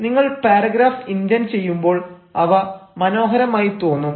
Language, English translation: Malayalam, so when you indent the paragraph they actually look beautiful, they appear beautiful